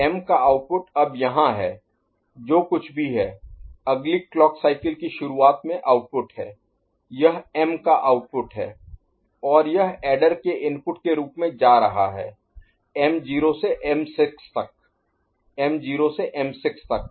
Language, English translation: Hindi, m output is now here whatever is the output next clock cycle in the beginning this is the output of the M and which of that is going as adder input the m naught to m6, m naught to m6 right